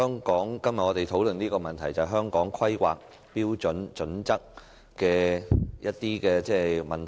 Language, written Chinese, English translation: Cantonese, 主席，我們今天討論有關《香港規劃標準與準則》的問題。, President today we are discussing matters relating to the Hong Kong Planning Standards and Guidelines